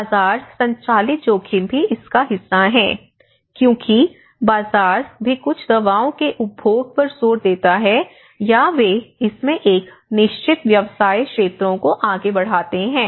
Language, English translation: Hindi, Also, the market driven risk because you know the market also emphasizes on consumption of certain drugs or they push a certain business sectors into it